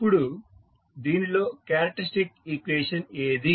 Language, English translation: Telugu, Now, what is the characteristic equation in this